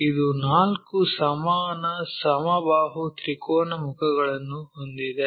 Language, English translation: Kannada, We have four equal equilateral triangular faces